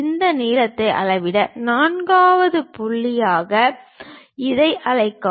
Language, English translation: Tamil, Measure this length call this one as 4th point